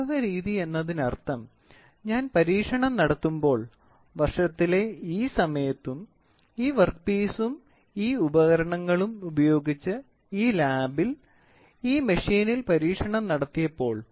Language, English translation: Malayalam, Empirical method means, when I do the experiment, when the experiment is conducted on this machine during this time of the year and in this lab using this work piece and this tools